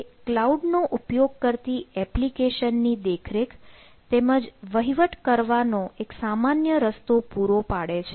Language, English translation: Gujarati, so provide a common way to manage monitor applications that use the cloud platform